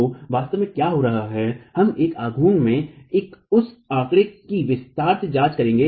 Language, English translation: Hindi, So, what is really happening, we will examine that figure in detail in a moment